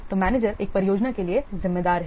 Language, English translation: Hindi, So the manager is responsible for one project